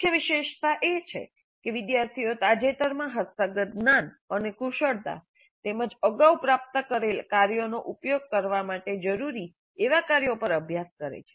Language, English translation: Gujarati, The key feature is that the students practice on tasks that require them to use recent acquired knowledge and skills as well as those acquired earlier